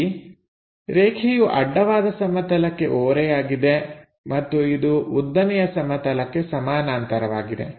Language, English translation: Kannada, Line supposed to be inclined to vertical plane and parallel to horizontal plane